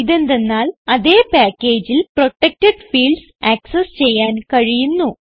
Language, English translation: Malayalam, This is because protected fields can be accessed within the same package